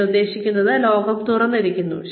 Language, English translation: Malayalam, I mean, the world is open